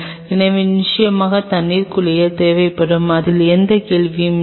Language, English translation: Tamil, So, definitely will be needing on water bath that is for sure there is no question on that